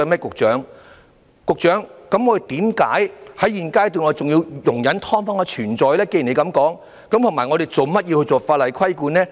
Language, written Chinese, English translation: Cantonese, 局長，既然你這麼說，那為何現階段我們仍要容忍"劏房"的存在，還要訂立法例規管呢？, Secretary as you have said so then why do we still have to tolerate the existence of SDUs at this stage with even the legislation to be made for regulating them?